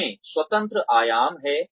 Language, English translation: Hindi, It contains independent dimensions